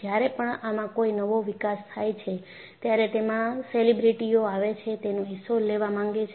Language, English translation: Gujarati, In fact, when any new developments take place, it is a celebrity who wants to take a share of it